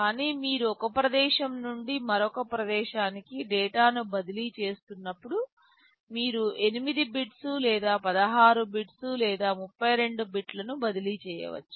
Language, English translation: Telugu, But when you are transferring data from one place to another, you can transfer 8 bits or 16 bits or 32 bits